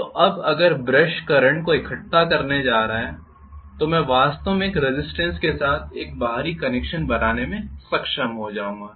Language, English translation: Hindi, Now if I am going to have the brushes collect the current I will be able to actually to make an external connection with a resistance